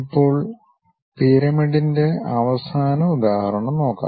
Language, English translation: Malayalam, Now, let us look at a last example pyramid